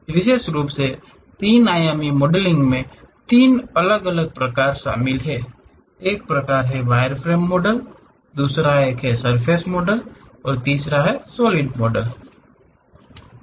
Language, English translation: Hindi, Especially, the three dimensional modelling consists of three different varieties: one is wireframe model, other one is surface model, the third one is solid model